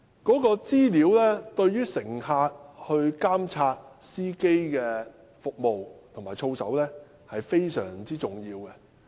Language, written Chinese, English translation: Cantonese, 這些資料對於乘客監察司機的服務及操守，非常重要。, Such information is very important for passengers to monitor the service and conduct of drivers